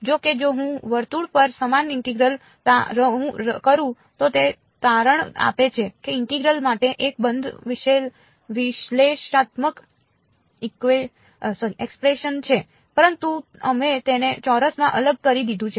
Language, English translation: Gujarati, However, if I do the same integral over a circle, it turns out that there is a closed analytical expression itself for the integral ok, but we discretized it into squares